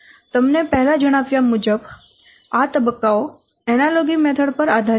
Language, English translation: Gujarati, As I have already told it is based on an analogy method